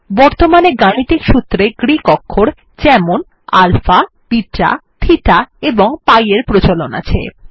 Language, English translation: Bengali, Now Greek characters, for example, alpha, beta, theta and pi are common in mathematical formulas